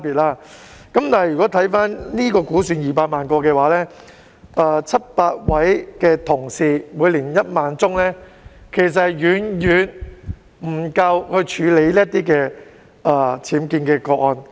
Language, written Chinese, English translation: Cantonese, 然而，如果估算到本港有200萬個僭建物的話，屋宇署700位有關同事每年處理1萬宗個案，其實是遠遠不足以處理全港僭建的個案。, Nonetheless with the estimate of 2 million UBWs in Hong Kong but 700 colleagues in BD capable of handling 10 000 cases per year the capacity is actually far from being sufficient to handle all UBW cases in the territory